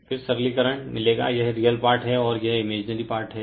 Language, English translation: Hindi, Then you simplify you will get this is the real part and this is the imaginary part